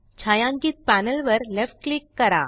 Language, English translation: Marathi, Left click the shaded panel